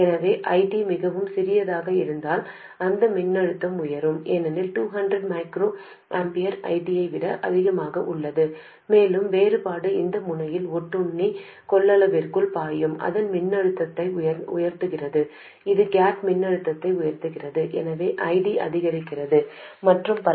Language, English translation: Tamil, So if ID is too small, this voltage will rise because 200 microamper is more than ID and the difference will flow into the parasitic capacitance at this node, raising its voltage, which raises the gate voltage, so ID increases and so on